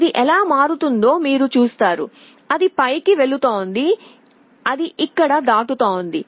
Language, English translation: Telugu, You see how it changes, it is going up it is out here it is crossing